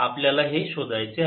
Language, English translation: Marathi, we want to find this now